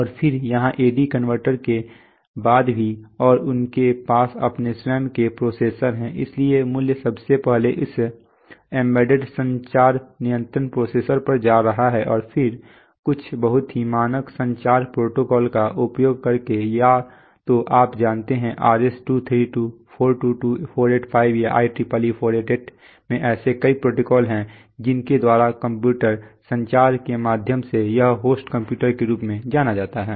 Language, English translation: Hindi, And then here this also after A/D converters, and they have their own processors so the value is firstly coming to that embedded communication controller processor, and then using some very standard communication protocol either you know, RS 232, 422, 485 or IEEE 488 there are number of protocols by which through computer communication it is coming to what is known as the host computer